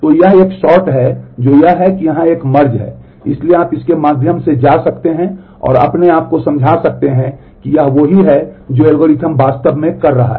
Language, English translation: Hindi, So, that is a sort that is that here is a merge so, you can go through that and convince yourself that this is what algorithm is actually doing